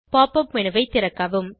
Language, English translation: Tamil, Open the pop up menu